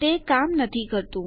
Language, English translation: Gujarati, Its not working